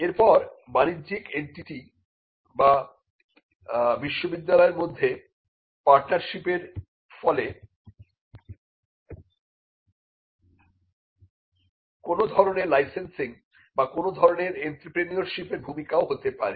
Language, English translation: Bengali, Then the partnership between the commercial entity and the university would lead to some kind of licensing or even some kind of an entrepreneurship rule